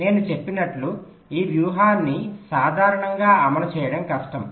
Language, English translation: Telugu, as i had said, that this strategy is difficult to implement in general